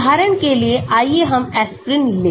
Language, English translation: Hindi, For example, let us take aspirin